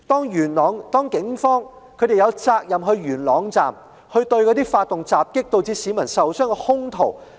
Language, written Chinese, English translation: Cantonese, 元朗警方有責任前往元朗站，拘捕發動襲擊導致市民受傷的兇徒。, Police officers of Yuen Long District were duty - bound to go to Yuen Long Station and arrest the assailants who had perpetrated the attack and caused injuries to people